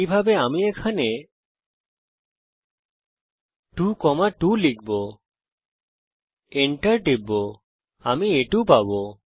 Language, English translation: Bengali, Similarly I can type in here 2.2 and press enter I get A2